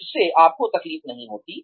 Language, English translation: Hindi, It does not hurt you